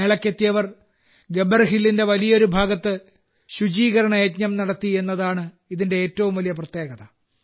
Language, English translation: Malayalam, The most significant aspect about it was that the people who came to the fair conducted a cleanliness campaign across a large part of Gabbar Hill